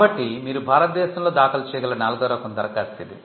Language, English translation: Telugu, So, that is the fourth type of application you can file in India